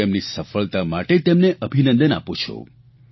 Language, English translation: Gujarati, I congratulate him on his success